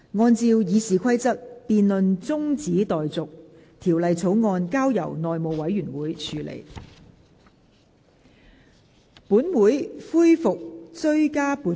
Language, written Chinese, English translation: Cantonese, 按照《議事規則》，這辯論現在中止待續，條例草案則交由內務委員會處理。, In accordance with the Rules of Procedure the debate is adjourned and the Bill referred to the House Committee